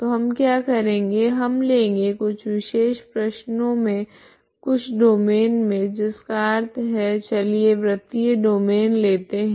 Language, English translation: Hindi, So what we do is we consider we can solve certain problems in some domains that means let us consider some circular domain